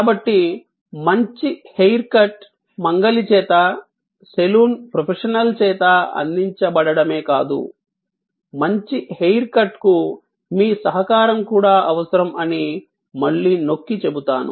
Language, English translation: Telugu, So, again I would emphasize that a good hair cut is not only provided by the barber by the saloon professional, but also a good hair cut needs your contribution